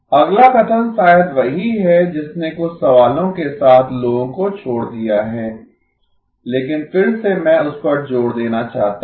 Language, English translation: Hindi, The next statement is probably the one that left people with a few questions but again I want to emphasize that